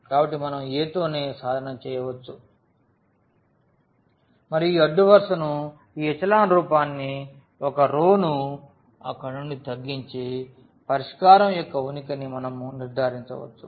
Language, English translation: Telugu, So, we can just work with the A itself and get the row reduced this echelon form from there we can conclude the existence of the solution